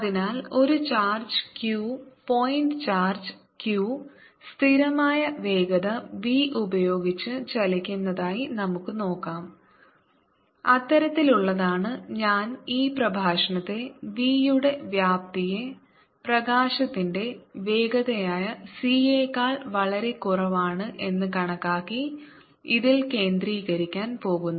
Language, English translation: Malayalam, so let us look at a charge q, point charge q moving with constant velocity, v, which is such i am going to focus this lecture on magnitude of v being much, much, much less than c, which is the speed of light